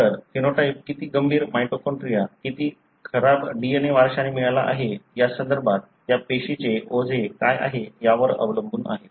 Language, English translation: Marathi, So, how severe the phenotype depends on how, what is the burden of that cell in terms of how much of the bad mitochondria, how much of the bad DNA that it inherited